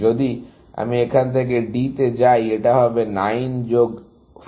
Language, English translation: Bengali, If I go to D from here, it is going to be 9 plus 4, 13